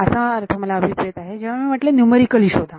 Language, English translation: Marathi, So, that is what I mean by numerically find out